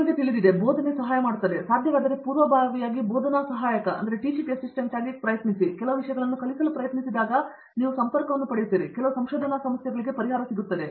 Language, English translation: Kannada, You know, teaching helps so, be a very trying be a proactive teaching assistant if possible, because when you try to teach certain things you will get the connect and your some of your research problems get do gets solved